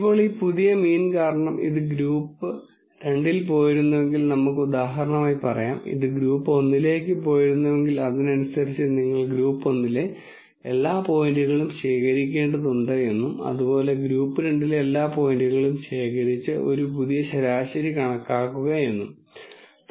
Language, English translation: Malayalam, Now, if it were the case that because of this new mean let us say for example, if this had gone into group 2 and let us say this and this had gone into group 1 then correspondingly you have to collect all the points in group 1 and calculate a new mean collect all the points in group 2 and calculate a new mean